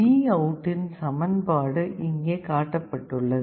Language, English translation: Tamil, The expression for VOUT is shown